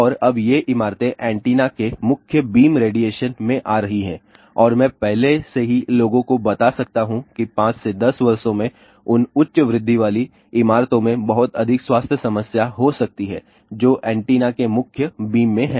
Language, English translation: Hindi, And, now these buildings are coming in the main beam radiation of the antenna and ah I can already forewarn people that in another 5 to 10 years there may be a lot of health problem occurring in those high rise buildings which are in the main beam of the antenna